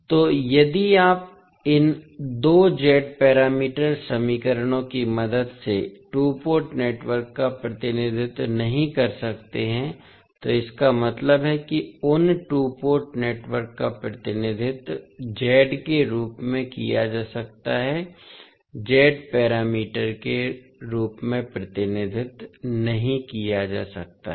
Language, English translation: Hindi, So, if you cannot represent the two port network with the help of these two Z parameter equations it means that those two port networks can be represented in the form of, cannot be represented in the form of Z parameters